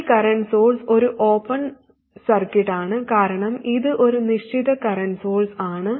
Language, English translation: Malayalam, This current source is an open circuit because it is a fixed current source